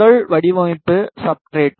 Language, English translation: Tamil, And firstly just design substrate